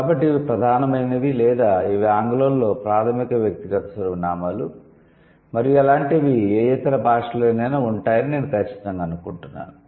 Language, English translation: Telugu, So, these are the major or these are the primary personal, let's say, pronouns in English and I am sure such kind of things would also be there in any other language